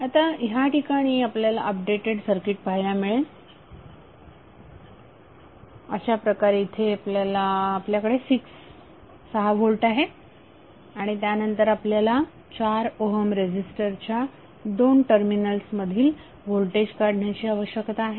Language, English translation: Marathi, So the updated circuit which you will see here would be like this where you will have 6 volt and then need to find out the value of voltage across 4 Ohm resistance